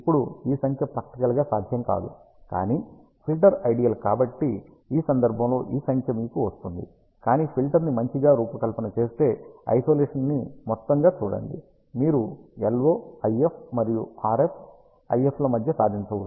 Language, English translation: Telugu, Now, this number is practically not possible, but because the filter is ideal in this case you get this number, but if you do a good filter design see the amount of Isolation, you can achieve between LO IF and RF IF